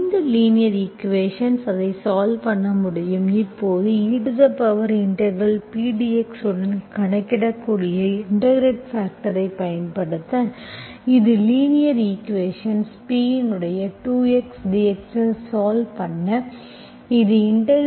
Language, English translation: Tamil, This is the linear equation, now you can solve it, now I am applying the integrating factor that you can calculate with e power integral, this is your P procedure of solving the linear equation 2x dx